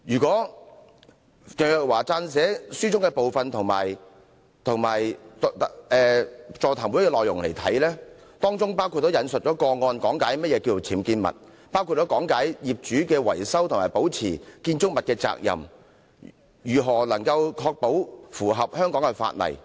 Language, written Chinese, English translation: Cantonese, 鄭若驊司長所撰寫的那本書和座談會的內容，均有引述個案講解何謂"僭建物"，包括業主維修及保持建築物的責任及如何才可以確保符合香港法例。, Ms CHENG has both in her book and during the seminar cited some cases to explain the term UBWs which covered issues such as the repair and maintenance responsibilities of owners and the compliance with the laws of Hong Kong